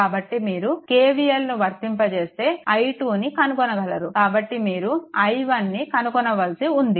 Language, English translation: Telugu, So, if you apply; so, i 2 is known, so, only next is you have to find out i 1